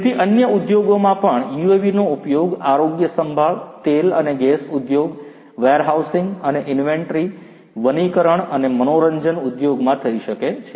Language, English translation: Gujarati, So, in the other industries also UAVs could be used healthcare industry oil and gas, warehousing and inventory, forestry and entertainment industry